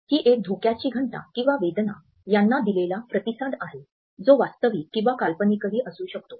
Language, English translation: Marathi, It is a response to a sense of thread danger or pain which may be either real or an imagined one